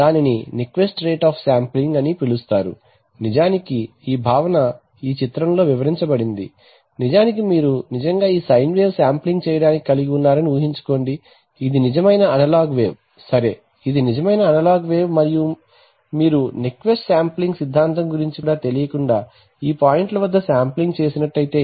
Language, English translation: Telugu, Now there is a theorem, bench mark rule which everybody talks about is called the so called the Nyquist rate of sampling, actually this is this concept is explained in this diagram, that imagine that you actually, truly have this side wave which you are sampling, this is the real analog wave right, this is the real analog wave and being not aware of the Nyquist sampling theorem you have sampled it at these points right